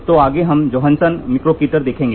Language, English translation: Hindi, So, next one, we will see the Johansson Mikrokator